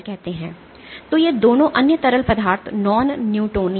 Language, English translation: Hindi, So, both of these other fluids are non newtonian